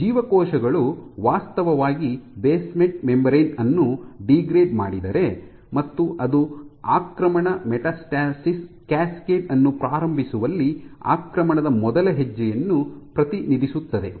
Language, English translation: Kannada, Were cells actually degrade the basement membrane and that represents that degradation of the basement membrane represents the first step in invasion, in initiating the invasion metastasis cascade